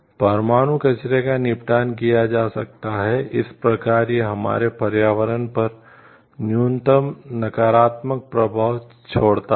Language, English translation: Hindi, Disposition of nuclear waste could be done, in such a way that it leaves minimum negative impact on our environment